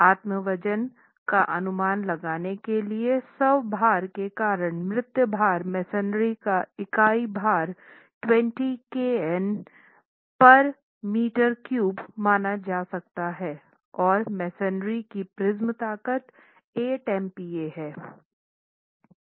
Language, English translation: Hindi, To estimate the self weight, the dead load due to the self weight, the unit weight of masonry can be considered to be 20 kilo Newton per meter cube and the prism strength of masonry is 8 megapascals